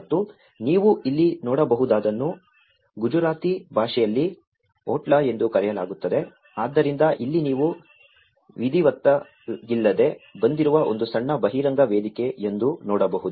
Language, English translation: Kannada, And what you can see here this is called otla in Gujarati language, so, here you can see that there is a small just exposed platform which is informally has been raised